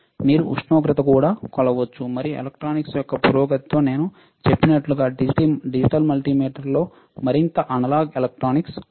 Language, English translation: Telugu, you can also measure temperature, and with advancement of electronics like I said that, there is more analog electronics in a in a digital multimeter